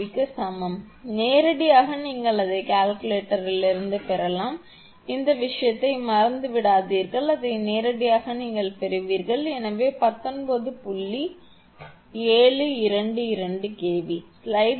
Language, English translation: Tamil, 722 kV, directly you can get it from calculator, no need forget about forget about this thing it directly you will get it, so 19